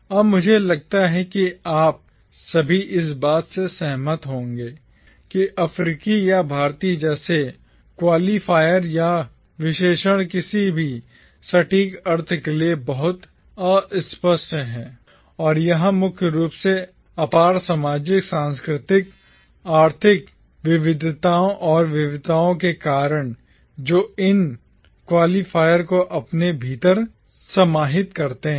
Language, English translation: Hindi, Now I think all of you will agree that qualifiers or adjectives like African or Indian are too vague to mean anything precise and that is primarily the case because of the immense social, cultural, economic diversities and variations that these qualifiers incorporates within themselves